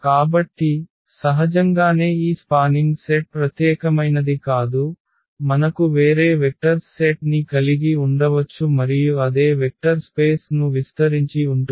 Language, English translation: Telugu, So, naturally this spanning set is not unique, we can have we can have a different set of vectors and that spanned the same vector space